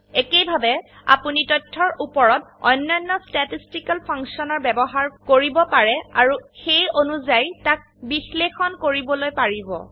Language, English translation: Assamese, Similarly, you can use other statistical functions on data and analyze them accordingly